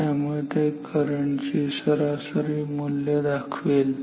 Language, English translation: Marathi, Now, what is the value of the current actual current